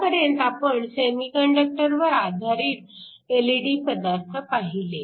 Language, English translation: Marathi, So, far we have looked at LED materials that are mainly based upon semiconductors